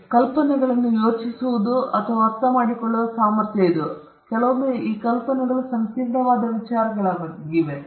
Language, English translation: Kannada, So, it is the ability to think and understand ideas, sometimes which some of those ideas could be complicated ideas